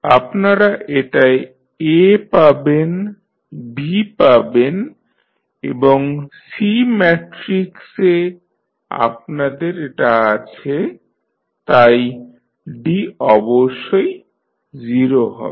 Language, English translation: Bengali, So, now this you will get as A, this you will get as B and this is what you have as C matrices, D is of course 0